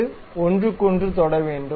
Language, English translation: Tamil, They should touch each other